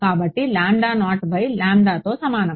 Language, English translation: Telugu, So, lambda is equal to lambda naught by